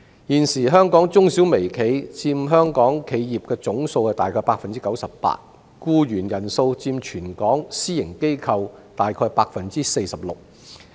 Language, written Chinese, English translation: Cantonese, 現時香港中小微企約佔香港企業總數的 98%， 僱員人數佔全港私營機構約 46%。, At present MSMEs represent about 98 % of all enterprises in Hong Kong and they employ about 46 % of all employees of private organizations over the territory